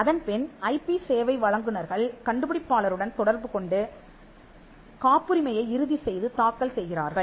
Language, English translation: Tamil, Then the IP service professionals interact with inventors to finalize and file the patent